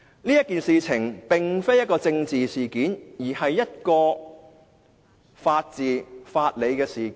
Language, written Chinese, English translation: Cantonese, 這件事並非政治事件，而是牽涉法治及法理的事件。, This is not a political incident . It is about the rule of law and the legal principles